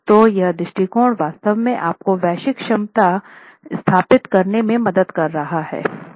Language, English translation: Hindi, So this approach, this sort of an approach, is actually helping you establish a global capacity